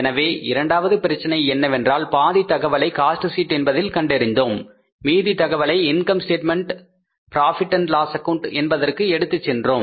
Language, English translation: Tamil, So, this is the second problem we did where we prepared half cost sheet in the cost sheet and remaining information was taken to the income statement to the profit and loss account